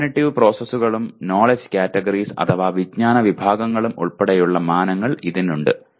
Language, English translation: Malayalam, It has dimensions including Cognitive Processes and Knowledge Categories